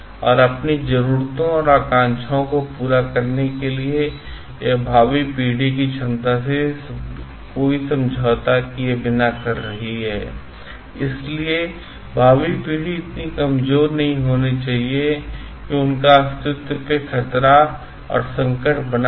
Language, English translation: Hindi, And without compromising the ability of future generation to meet their own needs and aspirations; so, the future generation should not become so weak that their existence is at stay